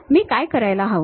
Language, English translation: Marathi, What I have to do